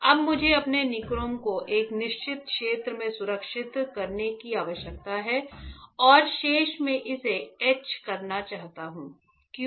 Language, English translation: Hindi, Now, I need to protect my nichrome in certain area and remaining that I will want to etch it, why